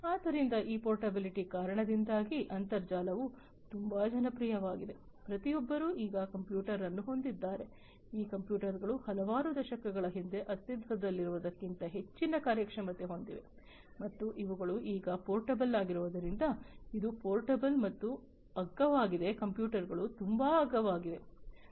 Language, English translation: Kannada, So, because of this portability the internet has also become very popular, everybody now owns a computer, these computers are very high performing than what is to exist several decades back, and also because these are portable now it is possible portable and cheap also these computers are very much cheap